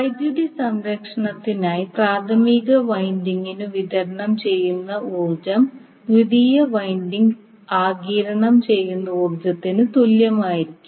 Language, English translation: Malayalam, Now the for the reason of power conservation the energy supplied to the primary should be equal to energy absorbed by the secondary